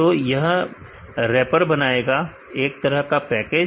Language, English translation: Hindi, So, it forms a wrapper a kind of a package